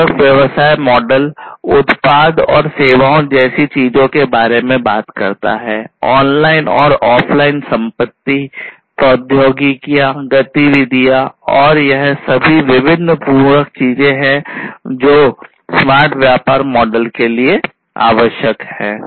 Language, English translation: Hindi, Complementary business model talks about things such as the product and services, online and offline assets, technologies, activities all these different complementary things, which are required in order to come up with the smart business model